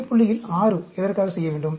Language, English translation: Tamil, Why do you need to do 6 at the center point